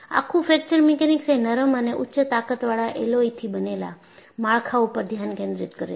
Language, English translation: Gujarati, The whole of Fracture Mechanics focuses on structures made of ductile, high strength alloys